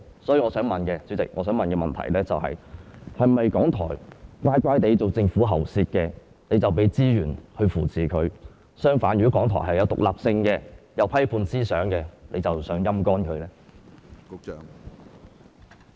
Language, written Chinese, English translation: Cantonese, 所以，我想提出的補充質詢是，是否港台乖巧地成為政府喉舌，當局才會提供資源來扶持他們；相反，如果港台具獨立性和批判思想，當局便想"陰乾"他們？, Therefore the supplementary question I wish to raise is Will the Administration provide resources to support RTHK only if the broadcaster meekly becomes its mouthpiece or else bleed RTHK dry if the broadcaster has independence and critical thoughts?